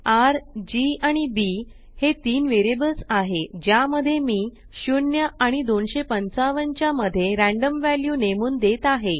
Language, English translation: Marathi, $R, $G, and $B are three variables to which I am assigning random values between 0 and 255